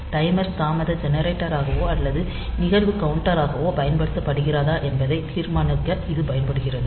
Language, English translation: Tamil, whether the timer is used as a delay generator or an event counter